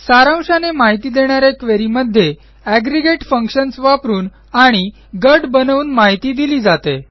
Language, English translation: Marathi, Summary queries show data from aggregate functions and by grouping